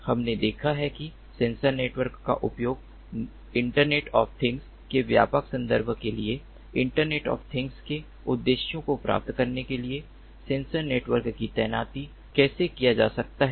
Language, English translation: Hindi, we have seen that how sensor networks can be used for the broader context of internet of things, deployment of sensor networks to achieve the objectives of internet of things